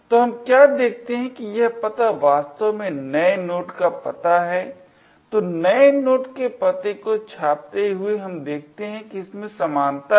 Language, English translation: Hindi, So, if we, what we see is that this address is in fact the address of new node, so printing the address of new node we see that there is a match